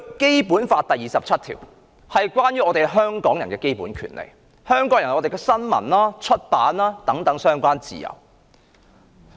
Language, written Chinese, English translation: Cantonese, 《基本法》第二十七條關乎香港人的基本權利，規定香港人享有新聞、出版的自由。, Article 27 of the Basic Law concerns the basic rights of Hong Kong people and stipulates that Hong Kong people shall have freedom of the press and of publication